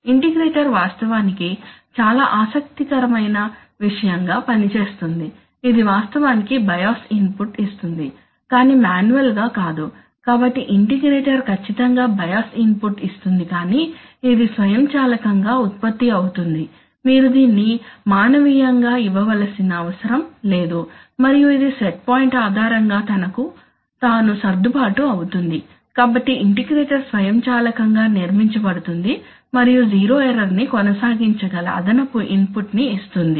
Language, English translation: Telugu, The integrator actually works as a very interesting thing it actually gives a bias input but which is not manual, so the bias input, integrator is actually, exactly like the, like the, like the bias input but it generates, it automatically, you do not have to give it manual, you do not have to give it manually, and it will adjust itself depending on, if you, depending on the set point, so the integrator will automatically build up and give enough additional input such that at zero error it can be sustained